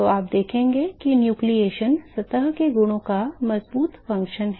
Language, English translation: Hindi, So, you will see that the nucleation is the strong function of the properties of the surface